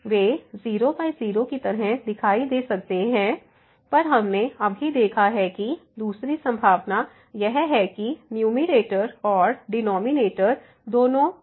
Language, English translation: Hindi, So, they may appear like in by we have just seen the other possibility is that the numerator and denominator both are infinity